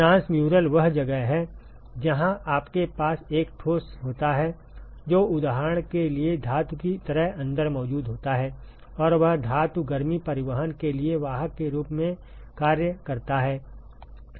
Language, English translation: Hindi, Transmural is where you have a solid which is present inside like a metal for example, and that metal acts as a carrier for heat transport